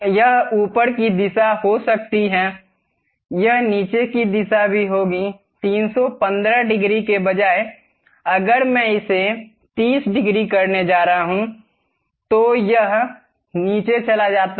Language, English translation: Hindi, It can be upward direction, it will be downward direction also; instead of 315 degrees, if I am going to make it 30 degrees, it goes down